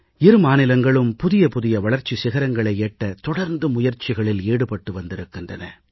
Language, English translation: Tamil, Both states have made constant strides to scale newer heights of development and have contributed toward the advancement of the country